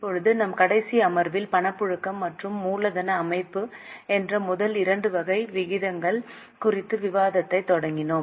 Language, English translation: Tamil, Now, in our last session, we had started discussion on first two types of ratios, that is liquidity and capital structure